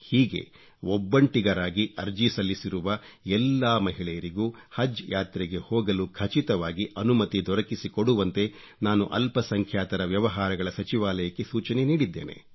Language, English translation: Kannada, I have suggested to the Ministry of Minority Affairs that they should ensure that all women who have applied to travel alone be allowed to perform Haj